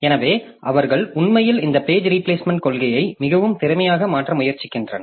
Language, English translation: Tamil, So, they are actually trying to make this page replacement policy more efficient